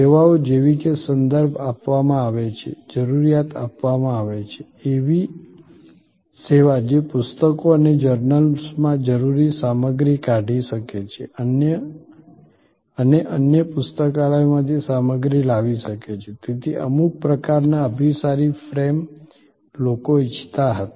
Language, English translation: Gujarati, Services like given a reference, given a requirement, a service which can pull out necessary material from books and from journals and can bring material from other libraries, so some sort of convergent frame people wanted